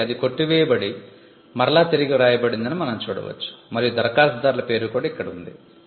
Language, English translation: Telugu, you can see that it was struck off and it was written back again, and the applicants name is here